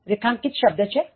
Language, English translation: Gujarati, Underlined word spectacle